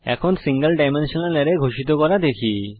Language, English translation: Bengali, Let us see how to declare single dimensional array